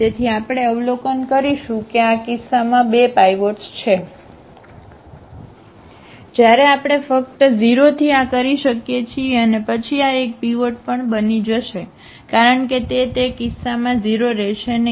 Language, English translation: Gujarati, So, we will observe that there are 2 pivots in this case, when we just we can just make this to 0 and then this will become also a pivot because this will not be 0 in that case